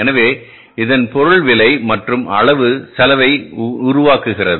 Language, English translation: Tamil, So, it means price and the quantity makes the cost